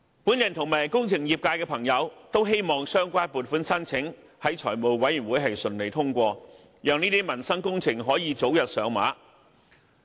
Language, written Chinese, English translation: Cantonese, 我及工程業界的朋友都希望相關的撥款申請在財委會能順利通過，讓這些民生工程能夠早日上馬。, The engineering sector and I hope that the relevant funding requests can be passed smoothly by the Finance Committee so that that these projects can commence as early as possible